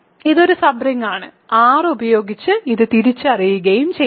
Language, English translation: Malayalam, So, this is a sub bring and R can be identified with this